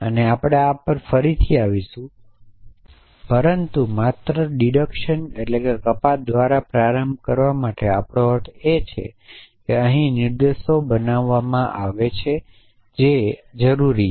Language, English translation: Gujarati, And we will come to this again, but just to get started by deduction we mean making inferences which are necessarily true essentially